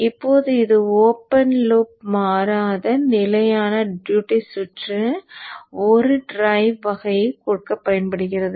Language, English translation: Tamil, Now this used to give a open loop constant fixed duty cycle kind of a drive